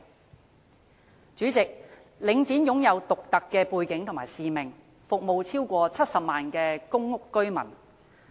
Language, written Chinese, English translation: Cantonese, 代理主席，領展肩負獨特的背景和使命，服務超過70萬戶公屋居民。, Deputy President Link REIT has a unique background and mission serving more than 700 000 public housing households